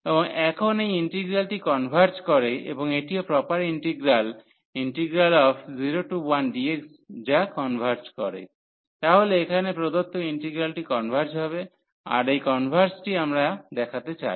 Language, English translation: Bengali, And now this integral converges and also this is proper integral which converges, so the given integral here it will converge, so this converges which we want to show